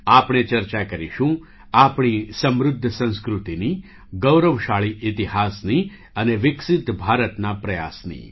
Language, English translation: Gujarati, We will discuss our rich culture, our glorious history and our efforts towards making a developed India